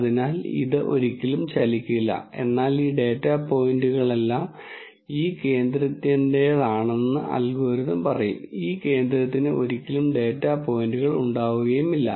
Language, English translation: Malayalam, So, this will never move, but the algorithm will say all of these data points belong to this center and this center will never have any data points for it